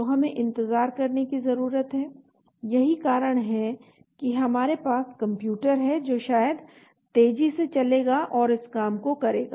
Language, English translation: Hindi, so we need to wait, that is why we have computer which maybe faster running and to do this type of job